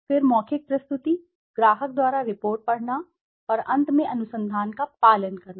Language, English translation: Hindi, Then oral presentation, reading of the report by the client and finally the research follow up